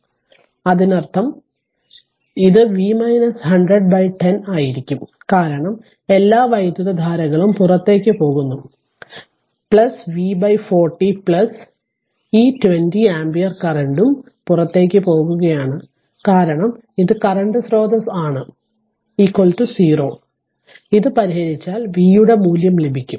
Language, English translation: Malayalam, So; that means, it will be V minus 100 by 10 because all currents are leaving this is leaving plus V by 40 plus this 20 ampere current is also leaving because this is a current source right is equal to 0 if you solve this you will get the value of V right